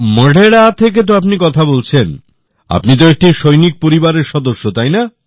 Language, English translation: Bengali, You are in Modhera…, you are from a military family